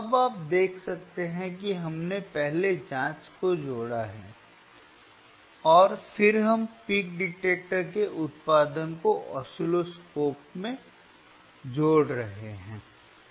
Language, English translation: Hindi, So, now, you can see you can see right that now wwe arehave connected the probe first probe 1, and then we are connecting the output of the peak detector, output of the peak detector to the oscilloscope